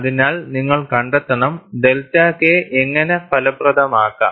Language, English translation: Malayalam, So, you have to find out, how to get delta K effective